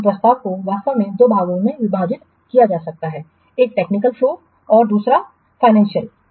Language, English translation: Hindi, So, the proposal actually can be divided into two parts, one the technical part, another the financial part